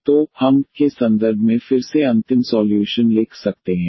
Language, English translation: Hindi, So, we can write down final solution again in terms of y